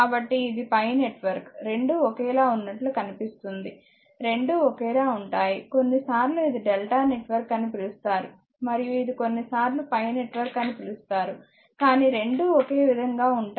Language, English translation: Telugu, So, this is looks like a pi network both are same, both are same sometimes we call this is a delta network and this is we call sometimes pi network, but both are same both are same right